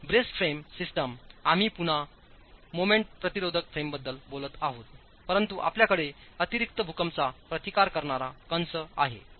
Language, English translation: Marathi, We are again talking of moment resisting frames, but you have additional seismic resisting braces in them